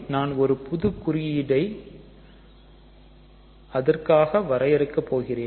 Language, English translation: Tamil, So, let me just define any new symbol for this